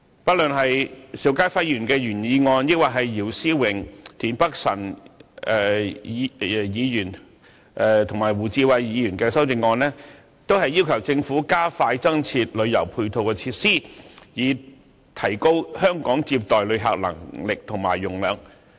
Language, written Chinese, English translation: Cantonese, 不論邵家輝議員的原議案，抑或姚思榮議員、田北辰議員和胡志偉議員的修正案，都要求政府加快增設旅遊配套設施，以提高香港接待旅客的能力和容量。, The original motion moved by Mr SHIU Ka - fai and the amendments of Mr YIU Si - wing Mr Michael TIEN and Mr WU Chi - wai request the Government to expedite the provision of additional tourism supporting facilities to upgrade Hong Kongs visitor receiving capability and capacity